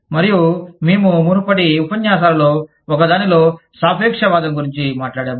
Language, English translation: Telugu, And, we talked about relativism, in one of the previous lectures